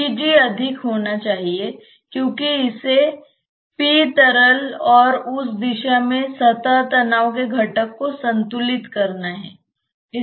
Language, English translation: Hindi, P gas to be more, because it has to balance the p liquid and the component of the surface tension in that direction